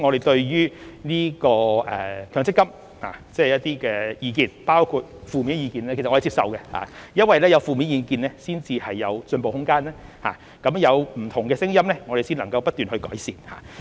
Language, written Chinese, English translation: Cantonese, 對於強積金的意見，包括負面的意見，我們是接受的。因為有負面意見才有進步的空間，有不同的聲音我們才能不斷去改善。, We accept the views on MPF including the negative ones for negative opinions create room for improvement and different voices bring about constant enhancement